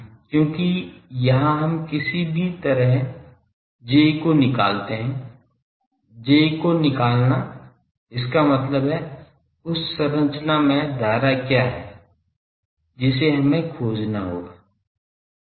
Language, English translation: Hindi, Because in any case here we will have to now find J finding J is; that means, what is the current on the structure we will have to find